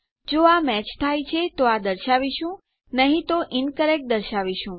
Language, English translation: Gujarati, If it is matching then we can display this otherwise we can display incorrect